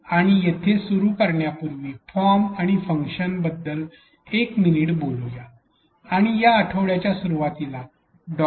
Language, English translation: Marathi, And here before we begin, let us talk a minute about form and function and there was a little bit of discussion of form and function earlier this week in Dr